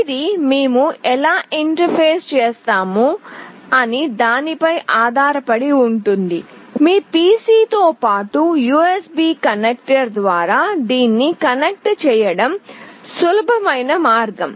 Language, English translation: Telugu, It depends on how do we interface, but the easiest way is like you connect through this USB connector along with your PC